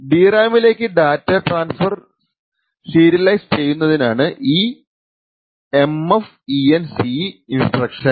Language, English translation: Malayalam, The MFENCE instruction is used to serialize the transfers to the DRAM